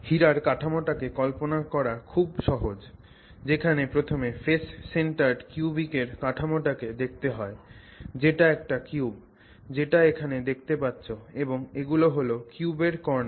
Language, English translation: Bengali, So, to look at the diamond structure, it's easy to visualize it by first looking at the face centered cubic structure which is basically a cube which is what you see here and then so these are the corners of the cube